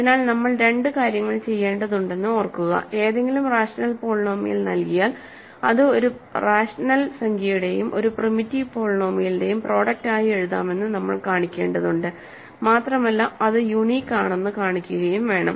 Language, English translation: Malayalam, So, remember we have to do two things, given any rational polynomial we have to show that it can be written as a product of a rational number and a primitive polynomial and we also have to show that it is unique